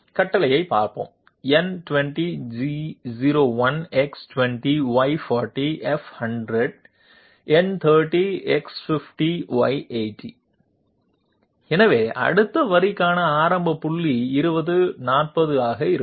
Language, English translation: Tamil, Let us have a look at the command, N20 G01 X20 Y40 F100, so the initial point for the next line would be 20, 40